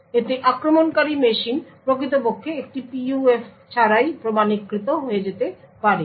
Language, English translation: Bengali, In this may be attacker machine can get authenticated without actually having a PUF